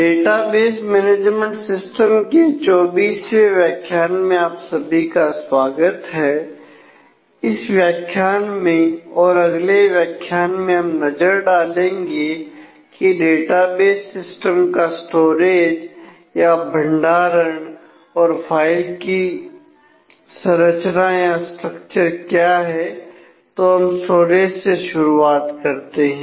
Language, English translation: Hindi, Welcome to module 24 of database management systems in this module and the next we will take a look at the storage and file structure of database systems